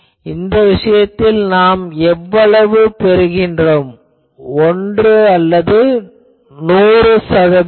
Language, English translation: Tamil, So, how much we are getting in this case, this is 1 or 100 percent